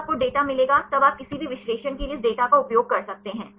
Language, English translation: Hindi, Now, you will get the data then you can use this data for any analysis